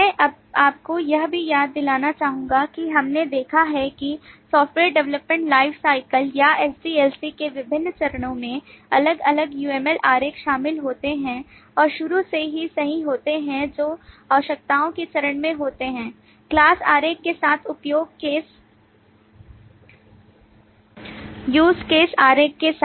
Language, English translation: Hindi, I would also like to remind you that we have seen that at different phases of the software development lifecycle, or SDLC, different UML diagrams are involved and right from the beginning, that is, in the requirements phase, the class diagram, along with the use case diagram, come in and start playing an important role